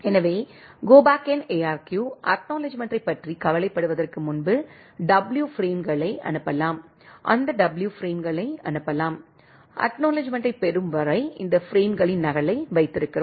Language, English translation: Tamil, So, Go Back N ARQ, we can send up to W frames before the worrying about the acknowledgement, send that W frames, we keep a copy of these frames until the acknowledgement receives